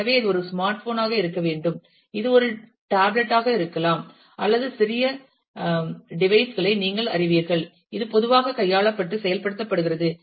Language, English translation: Tamil, So, it this is not necessarily mean that, it has to be a smart phone, it could be a tablet or you know some small device, which typically is handled and carried around